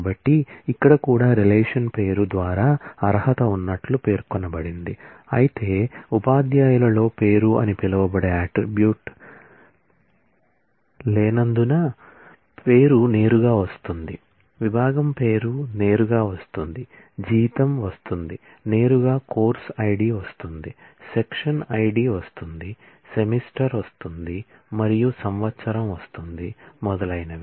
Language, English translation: Telugu, So, that is also specified here qualified by the name of the relation whereas, name comes in directly because there is no attribute called name in teachers, the department name comes in directly, salary comes in, directly course ID comes in, section ID comes in, semester comes in, year comes in and so on